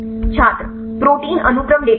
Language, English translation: Hindi, Protein sequence database